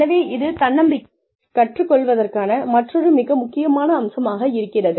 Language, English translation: Tamil, So, that is another very essential aspect of learning, to be self reliant